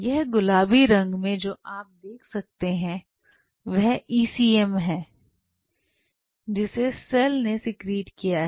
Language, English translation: Hindi, These pink what you are seeing are the ACM secreted by the cell